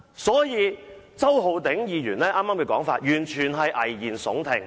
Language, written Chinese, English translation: Cantonese, 所以，周浩鼎議員剛才的說法完全是危言聳聽。, Therefore Mr Holden CHOW has just made alarmist remarks